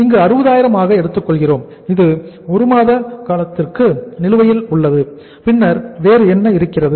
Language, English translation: Tamil, So we are taking here as 60,000 which is outstanding for a period of 1 month and then what else is there